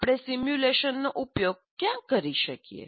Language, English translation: Gujarati, Where can we use simulation